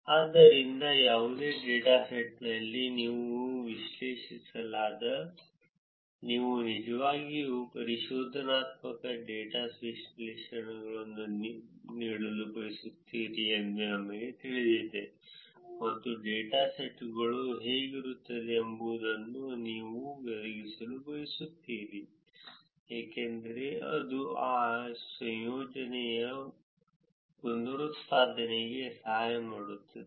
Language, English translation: Kannada, So, in any data set, when you analyze, first you know you want to actually provide exploratory data analysis, and you want to provide what the data set looks like, because this will help reproducibility of that research